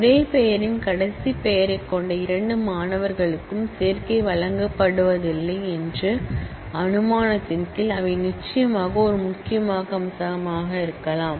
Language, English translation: Tamil, They can be a key of course, under the assumption that no two students with the same first name last name are given admission